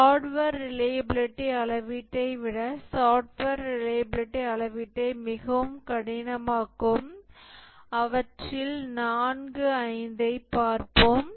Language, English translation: Tamil, We'll look at four, five of them which make software reliability measurement much harder than hardware reliability measurement